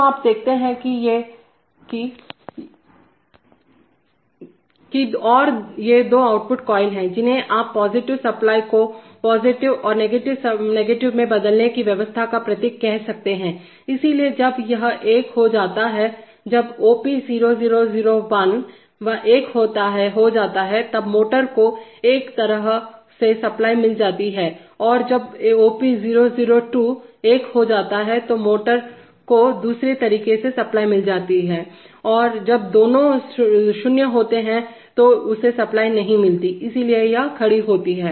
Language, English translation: Hindi, So you see that and these are the two output coils, which you can say symbolizes the arrangement of switching the power supply to either the positive and the negative, so when this goes becomes one when OP001 becomes 1 then the motor gets supply in one way and when OP002 becomes 1 the motor gets supply in the other way and when both are 0 it does not get any supply, so it is standing